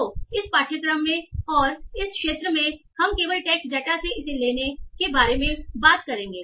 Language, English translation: Hindi, So in this course and in this week we will only talk about taking it from the text data